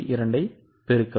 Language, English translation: Tamil, So multiply it by 1